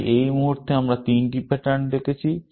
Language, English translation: Bengali, So, by this moment, we have looked at three patterns